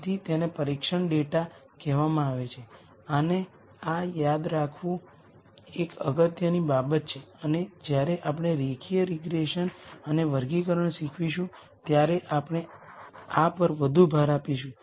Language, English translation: Gujarati, So, that is called the test data and this is an important thing to remember and we will emphasize this more when we teach linear regression and classification